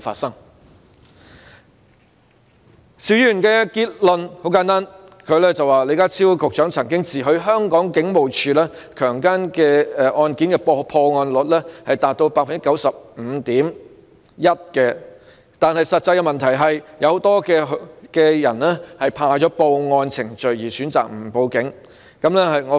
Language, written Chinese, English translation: Cantonese, 邵議員的結論很簡單，他說李家超局長曾自詡香港警務處處理強姦案件的破案率達到 95.1%， 但實際上有很多受害人因為害怕經歷報案程序而選擇不報案。, Mr SHIUs conclusion is very simple . In his opinion although Secretary John LEE boasted that the Hong Kong Police Forces detection rate in respect of rape cases was as high as 95.1 % many victims of such cases have actually chosen not to make a report for fear of being made to go through the reporting procedures